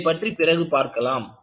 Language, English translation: Tamil, We will look at it, a little while later